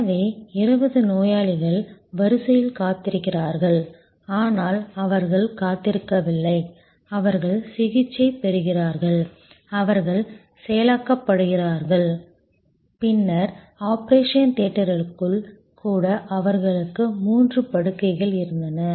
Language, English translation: Tamil, So, 20 patients are in the queue waiting, but not waiting ideally they are getting treated, they are getting processed and then, even within the operation theater they had 3 beds